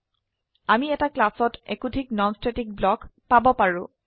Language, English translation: Assamese, We can have multiple non static blocks in a class